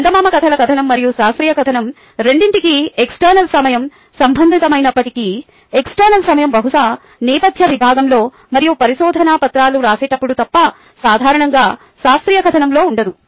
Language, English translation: Telugu, while external time is relevant for both the fairy tale narrative and the scientific narrative, the internal time is normally absent in the scientific narrative, except perhaps in the background section and so on